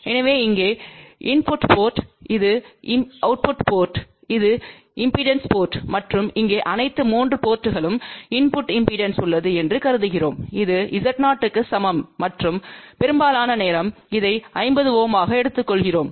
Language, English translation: Tamil, So, let us see what we have shown over here, so here is the input port this is the output port this is the output port and here we are assuming that all the 3 ports have a input impedance which is equal to Z0 and majority of the time we take this as 50 ohm